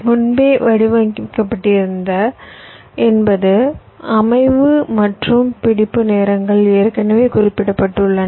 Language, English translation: Tamil, those are already pre designed, and pre designed means the set up and hold times are already specified